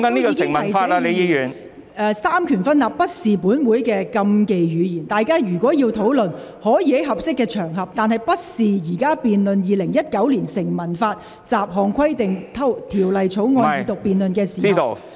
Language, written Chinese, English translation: Cantonese, 我亦已提醒議員，三權分立不是本會的禁忌語言，如果議員要討論三權分立，可以在合適的場合提出，而不是在現在《2019年成文法條例草案》二讀辯論的時候。, I have also reminded Members that separation of powers is not a taboo term in this Council . If Members wish to discuss separation of powers they may hold discussions on a suitable occasion rather than doing so during this Second Reading debate on the Statute Law Bill 2019